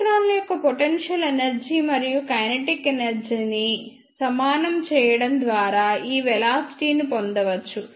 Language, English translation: Telugu, This velocity can be derived by equating the potential energy and kinetic energy of the electrons